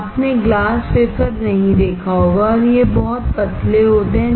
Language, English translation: Hindi, You may not have seen glass wafer and these are very thin